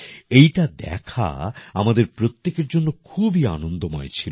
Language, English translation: Bengali, It was a pleasure for all of us to see